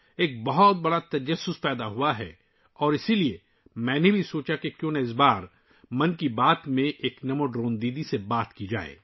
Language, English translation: Urdu, A big curiosity has arisen and that is why, I also thought that this time in 'Mann Ki Baat', why not talk to a NaMo Drone Didi